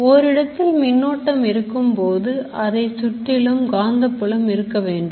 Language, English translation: Tamil, This and obviously if there is a current there has to be a magnetic field around it